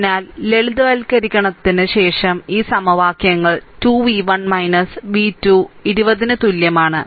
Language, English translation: Malayalam, So, after simplification we will get this equations 3 v 1 minus v 3 is equal to 20